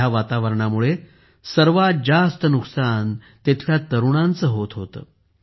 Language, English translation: Marathi, The biggest brunt of this kind of environment was being borne by the youth here